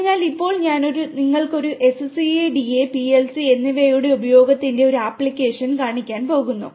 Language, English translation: Malayalam, So, right now I am going to show you one of the applications of the use of SCADA and PLC